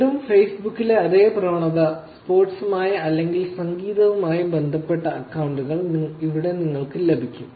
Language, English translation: Malayalam, Again, same trend as in Facebook, here you get accounts which are related to sports or in music